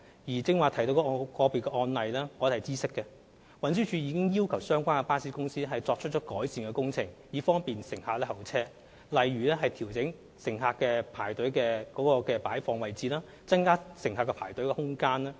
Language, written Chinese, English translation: Cantonese, 至於剛才提到的個別案例，我們已經知悉並要求相關巴士公司作出改善，以方便乘客候車，例如調整乘客的排隊位置，增加排隊空間。, As for the individual case mentioned just now we have taken note of the situation and asked the relevant bus company to make improvement in its measures to provide passengers with a better waiting environment such as adjusting the position and increasing the space for passengers to queue up